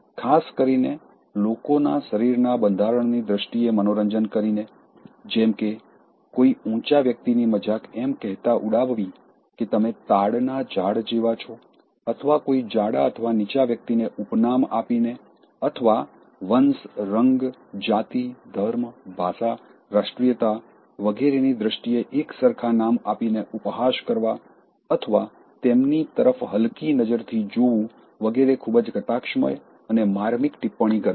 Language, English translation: Gujarati, Especially by making fun in terms of their body constitution like, making fun of somebody who is tall, saying that you are like a palm tree or somebody who is fat or somebody who is shot and giving all nicknames or stereotyping people in terms of race, colour, caste, religion, language, nationality, etc